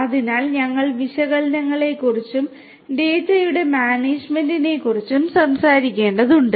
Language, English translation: Malayalam, So, we have to talk about the analytics and the management of the data